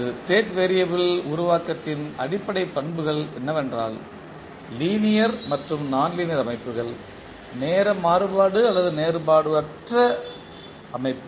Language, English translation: Tamil, The basic characteristics of a state variable formulation is that the linear and nonlinear systems, time invariant and time varying system